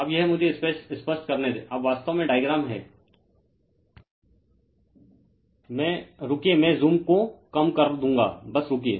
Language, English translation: Hindi, Right now, this is let me clear it , now actually diagram is, hold on hold on I will I will reduce the zoom just hold on